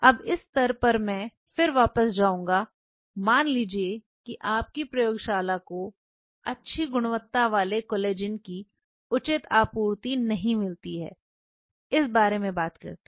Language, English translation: Hindi, Now, at this stage I will take a slight detour to talk about suppose your lab does not get a reasonable supply of good quality collagen